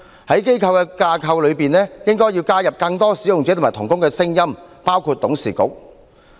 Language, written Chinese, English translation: Cantonese, 在機構的架構內，應該要加入更多使用者及同工的聲音，包括董事會等。, The voices of more users and co - workers should be heard within the framework of organizations including the board of directors